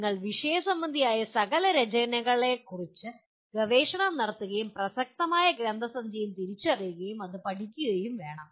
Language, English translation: Malayalam, You have to research the literature and identify the relevant literature and study that